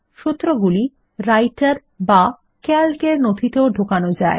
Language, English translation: Bengali, The formulae can be embedded into documents in Writer or Calc